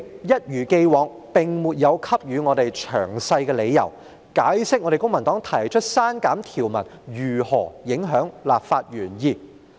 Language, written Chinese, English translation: Cantonese, 一如既往，主席沒有給予我們詳細理由，解釋公民黨提出刪減條文如何影響立法原意。, As in the past the President has not provided us with any detailed reasons to explain how the legislative intent would be compromised by the deletion of provisions as proposed by the Civic Party